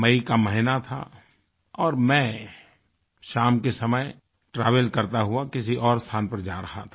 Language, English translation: Hindi, It was the month of May; and I was travelling to a certain place